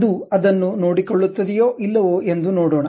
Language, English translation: Kannada, Let us see whether that really takes care of it or not